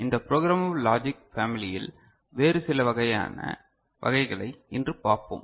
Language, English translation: Tamil, So, today we shall look at some other variety of this programmable logic family